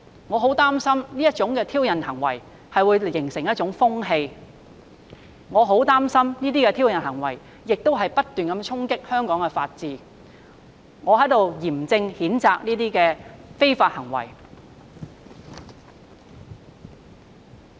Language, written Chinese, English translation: Cantonese, 我很擔心這種挑釁行為會形成風氣，我很擔心這些挑釁行為會不斷衝擊香港法治，我在這裏嚴正譴責這些非法行為。, I very much worry that these provocative acts will form a trend that jeopardizes the rule of law in Hong Kong . I severely denounce these illegal acts